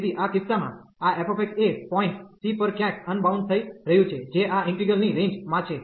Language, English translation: Gujarati, So, in this case this f x is getting unbounded somewhere at the point c, which is in the range of this integral